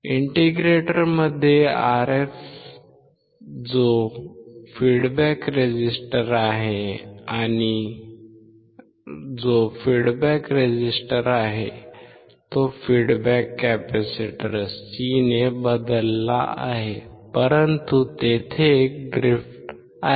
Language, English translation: Marathi, In the integrator the Rf which is a feedback resistor is replaced by a feedback capacitor C but there is a drift